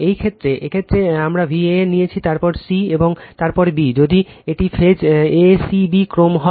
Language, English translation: Bengali, In this case in this case, we have taken say V a n, then c, and then b, if this is phase a c b sequence